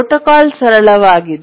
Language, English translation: Kannada, And that's the simple protocol